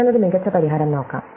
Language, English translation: Malayalam, So, let us look for a better solution